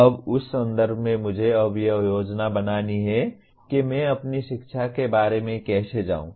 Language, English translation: Hindi, Now in that context I have to now plan how do I go about my learning